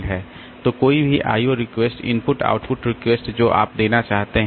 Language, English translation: Hindi, O request, input or output request that you want to give